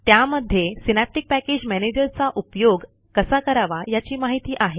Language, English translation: Marathi, This dialogue box has information on how to use synaptic package manager